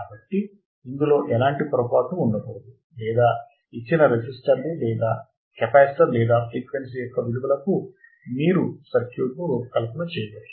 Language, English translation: Telugu, So, there should be no mistake in this or if for the given values of resistors or capacitor or frequency how you can design the circuit